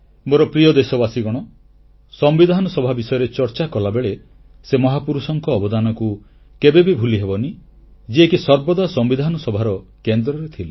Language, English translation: Odia, My dear countrymen, while talking about the Constituent Assembly, the contribution of that great man cannot be forgotten who played a pivotal role in the Constituent Assembly